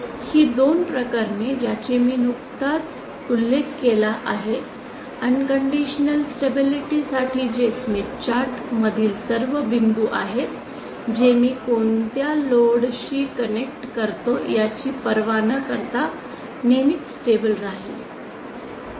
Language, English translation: Marathi, These two cases that I just mentioned at the case for unconditional stability that is all points inside the smith chart will always be stable irrespective of what my what load I connect